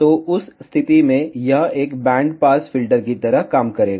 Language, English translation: Hindi, So, in that case, it will act like a band pass filter